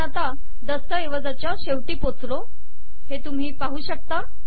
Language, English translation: Marathi, You can see that we have come to the end of this document